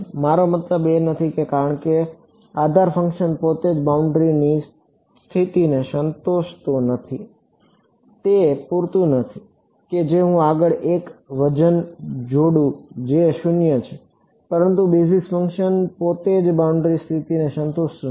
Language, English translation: Gujarati, I cannot I mean because the basis functions themselves I am not satisfying the boundary conditions its not enough that I just attach a weight next do to which is 0, but the basis function itself is not satisfying the boundary condition